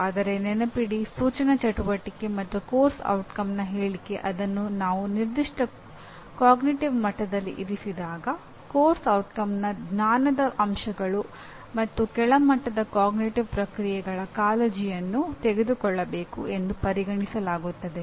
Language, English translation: Kannada, But remember that both instructional activity as well as course outcome statement when I put it at a particular cognitive level, both the knowledge elements of the course outcome and cognitive processes at the lower level are considered to be taken care